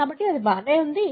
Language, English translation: Telugu, So, that was alright